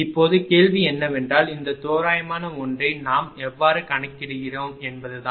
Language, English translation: Tamil, Now question is how we are computing this approximate one